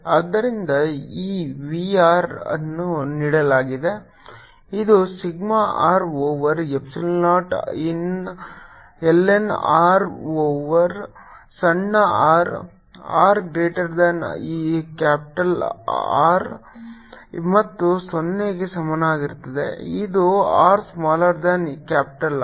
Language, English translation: Kannada, r is given by this: is sigma r over epsilon, not i lined vector a lined are over smaller, for r is greater than capital r and equal to zero, for r is smaller than capital r